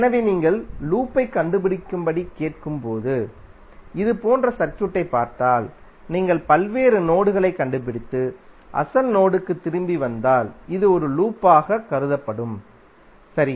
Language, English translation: Tamil, So that means if you see the circuit like this when you are ask to find out the loop, it means that if you trace out various nodes and come back to the original node then this will consider to be one loop, right